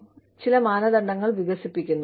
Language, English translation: Malayalam, You develop some criteria